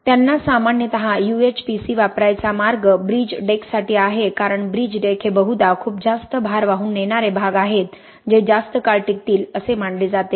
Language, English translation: Marathi, The way they normally want to use the UHPC is for bridge decks because bridge decks are supposedly very heavy load carrying members that are supposed to last for a much longer period of time